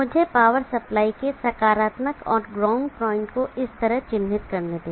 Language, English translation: Hindi, Let me mark the power supply positive and the ground point like this